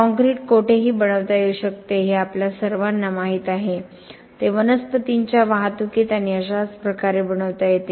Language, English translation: Marathi, Concrete as we all know can be made anywhere, it can be made at the sight in the plant transport and in so on